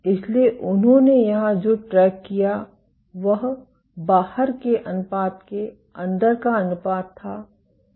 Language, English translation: Hindi, So, what they tracked here was the ratio inside to the ratio outside